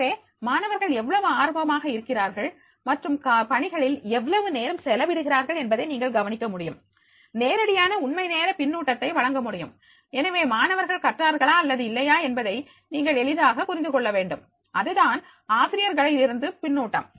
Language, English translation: Tamil, So therefore, how curious is the student and how much time he spending on this assignment that you can also notice, it can provide the direct real time feedback also, so therefore you will easily understand whether the student has learned or he has not learned, so that will be the feedback for the teacher